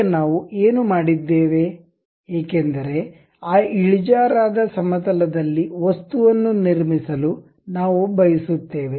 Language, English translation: Kannada, Now, what we have done is, because we would like to construct an object on that inclined plane